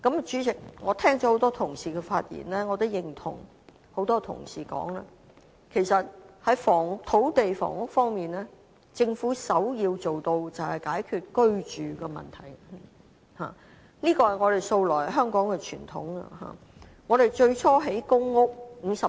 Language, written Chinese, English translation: Cantonese, 主席，我聽了很多同事的發言，亦認同多位議員所指出，在土地房屋方面，政府首要做到的便是解決居住問題，這也是香港素來的傳統問題。, President I have listened to the speeches of many colleagues and I share what they have pointed out as far as housing and land is concerned the Governments first task should do is to solve peoples housing problem and this is also a long - standing problem of Hong Kong